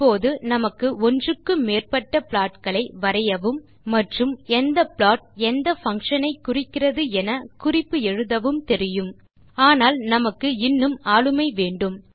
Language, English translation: Tamil, We now know how to draw multiple plots and use legends to indicate which plot represents what function, but we would like to have more control over the plots we draw